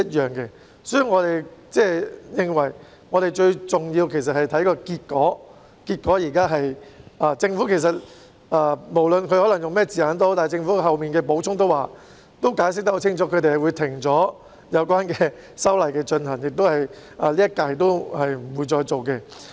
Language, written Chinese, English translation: Cantonese, 有見及此，我們認為最重要的是結果，無論政府採用甚麼字眼，但政府其後的補充已清楚解釋，他們會停止有關的修例工作，不會在今屆立法會推行。, In view of this we believe the result is the most important regardless of what wording the Government has used and the Government has explained clearly in its supplementary response made subsequently that it would stop the relevant legislative amendment exercise and would not take it forward within this term of the Legislative Council